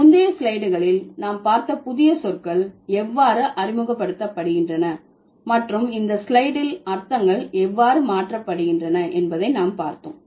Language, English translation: Tamil, So, in the previous slide, we saw how the new words are introduced and in this slide we saw how the meanings are changed